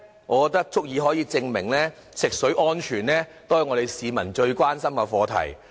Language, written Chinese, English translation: Cantonese, 我認為足以證明，食水安全是我們市民最關心的課題。, To me this is a proof that the safety of drinking water is the prime concern of members of the public